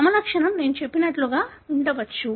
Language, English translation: Telugu, The phenotype could be something like what I said